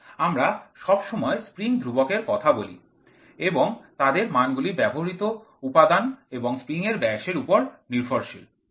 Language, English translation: Bengali, So, we always talk about the spring constant and their values depend on the material on the dimension of the spring